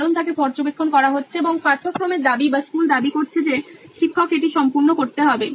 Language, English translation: Bengali, Because she is being monitored and the curriculum demands or the school demands that, the teacher completes it